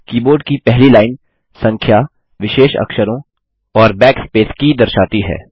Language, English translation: Hindi, The first line of the keyboard displays numerals special characters and the backspace key